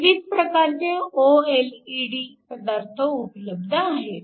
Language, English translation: Marathi, So, There are different OLED materials are available